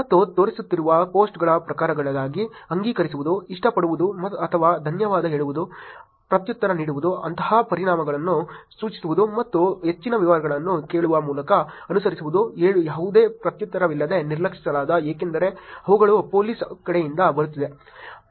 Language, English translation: Kannada, And in terms of types of post that were showing up which is acknowledge to, like, or say thanks, reply to, such suggest a solution and the follow up by asking further details, ignored by no reply, because these are the ones that are coming from the police side